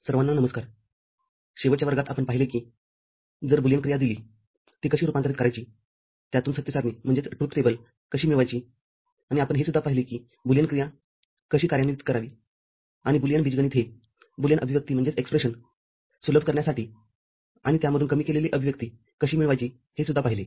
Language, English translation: Marathi, Hello everybody, in the last class, we had seen if a Boolean function is given, how to convert it to a how to get a truth table out of it, and we also saw how to implement a Boolean function, and how Boolean algebra can be used to simplify a Boolean expression and get a minimized expression out of it